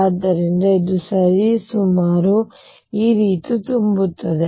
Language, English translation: Kannada, So, this is going to be roughly filled like this